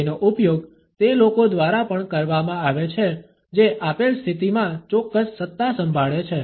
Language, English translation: Gujarati, It is also used by those people who are wielding certain authority in a given position